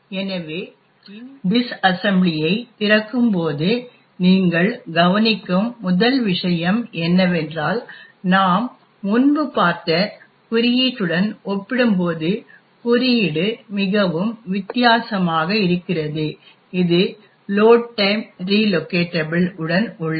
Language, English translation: Tamil, So, the first thing you notice when the open this disassembly is that the code looks very different compared to the one we seen previously that is with the load time relocation